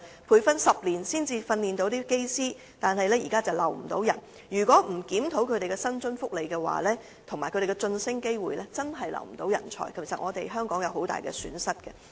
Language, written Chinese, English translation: Cantonese, 培訓10年的人才，卻不能將他們留在隊內，如再不檢討他們的薪津福利和晉升機會，確實會留不住人才，這將是香港的極大損失。, These talents have undergone continuous training for 10 years but GFS cannot retain them in its service . If a review is still not conducted on their remuneration benefits and promotion prospect GFS will definitely fail to keep its talents and this will be a huge loss of Hong Kong